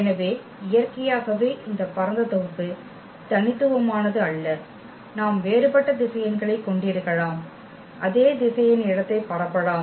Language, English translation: Tamil, So, naturally this spanning set is not unique, we can have we can have a different set of vectors and that spanned the same vector space